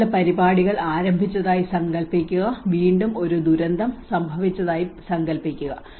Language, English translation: Malayalam, Imagine you have started some program and imagine some calamity have occurred again